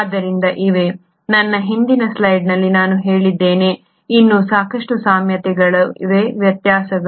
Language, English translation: Kannada, So there are, in my previous slide I said, there were plenty of similarities yet there are differences